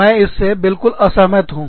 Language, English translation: Hindi, I completely, disagree